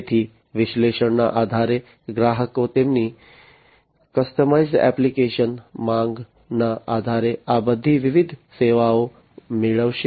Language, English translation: Gujarati, So, based on the analytics, the customers based on their customized application demand are going to get all these different services